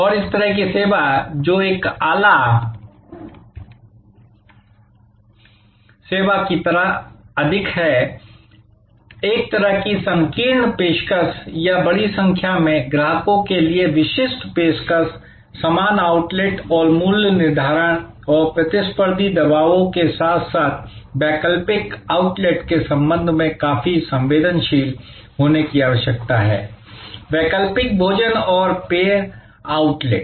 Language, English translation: Hindi, And this sort of service, which is more like a niche service, a kind of a narrow offering or specific offering for a large variety of customers, needs to be quite sensitive with respect to pricing and competitive pressures from similar outlets as well as alternative outlets, alternative food and beverage outlets